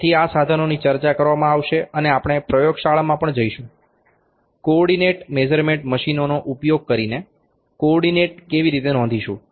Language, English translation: Gujarati, So, these instruments will be discussed also we will also go to the in the laboratory to see the demonstration, how to note the coordinate using co ordinate measurements machines